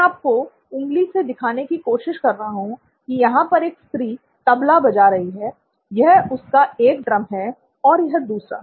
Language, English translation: Hindi, If I can get you to point, there is a lady playing the “Tabla”, it’s one of the drums and the second drum is here